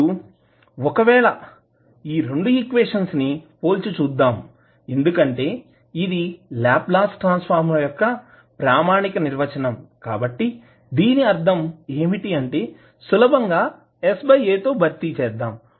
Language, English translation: Telugu, Now if you compare the these two equations because this is the standard definition of the Laplace transform, so that means that you are simply replacing s by a